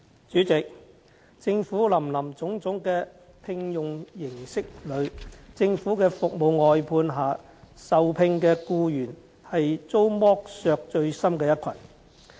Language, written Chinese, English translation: Cantonese, 主席，在政府林林總總的聘用形式中，政府服務外判下受聘的僱員是遭剝削最深的一群。, President among the many different terms of employment in the Government employees hired under service outsourcing by the Government suffer the worst exploitation